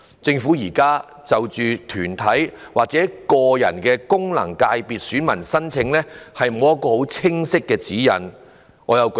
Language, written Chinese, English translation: Cantonese, 政府現時就團體或個人的功能界別選民申請欠缺清晰的指引。, The current guidelines on the application for voter registration are unclear for individual bodiespersons